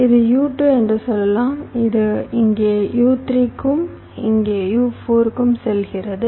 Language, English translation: Tamil, let say this: one is u two, this goes to u three here and u four here